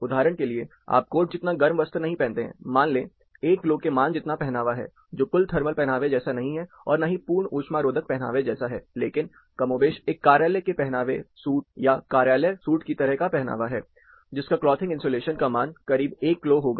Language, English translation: Hindi, For instance, not to the extent of total blazer kind of thing you have, say 1 clo value which is not a total thermal wear, insulated thermal wear, but more or less like an office cloth, suits, office suits, you will have close to 1 clo value